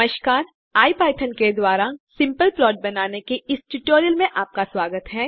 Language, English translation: Hindi, Hello Friends and welcome to the tutorial on creating simple plots using iPython